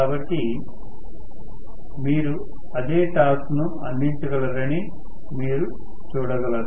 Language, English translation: Telugu, So, you are going to see that it will be able to offer the same torque